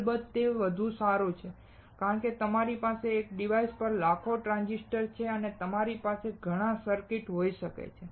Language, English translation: Gujarati, Of course, it is better because you have millions of transistors on one device and you can have lot of circuits